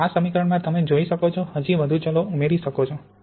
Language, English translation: Gujarati, So this, you can see, adds even more variables to the equation